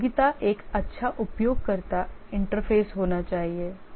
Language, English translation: Hindi, Usability should have a good user interface